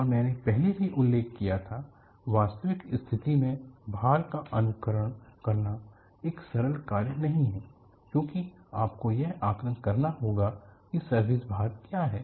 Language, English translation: Hindi, AndI had also mentioned earlier, simulatingactual service condition loads is not a simple task because you will have to assess what are the service loads